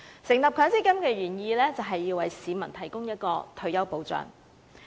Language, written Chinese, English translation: Cantonese, 成立強積金的原意，就是要為市民提供退休保障。, The original intent of setting up MPF was to offer retirement protection to members of the public